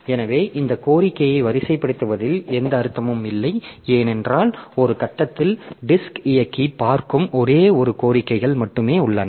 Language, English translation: Tamil, So, there is no point making this request skewed up because at one point of time there is only one request that the disk drive will see